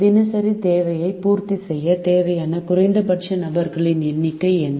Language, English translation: Tamil, what is a minimum number of people required to meet the daily demand